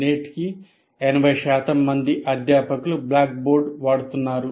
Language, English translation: Telugu, And fairly more than 80% of the faculty today are still using blackboard